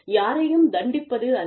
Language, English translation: Tamil, It is not to punish, anyone